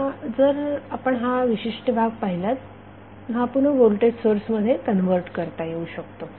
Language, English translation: Marathi, Now if you see this particular segment this can be again converted into the voltage source